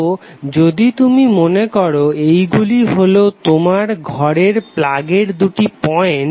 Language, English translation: Bengali, So if you can imagine that these are the two thumbnails of your plug point in the house